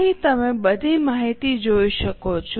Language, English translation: Gujarati, Here you can see all the information